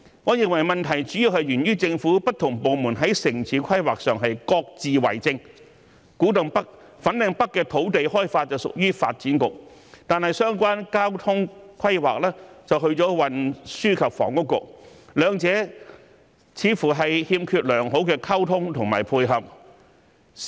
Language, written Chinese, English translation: Cantonese, 我認為問題主要源於政府不同部門在城市規劃上各自為政，古洞北、粉嶺北的土地開發屬於發展局，但相關交通規劃則屬於運輸及房屋局，兩者似乎欠缺良好溝通和配合。, The land development of Kwu Tung North and Fanling North belongs to the Development Bureau but the related transport planning belongs to the Transport and Housing Bureau . The two seem to lack good communication and cooperation